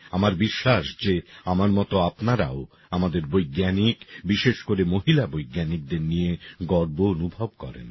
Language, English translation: Bengali, I am sure that, like me, you too feel proud of our scientists and especially women scientists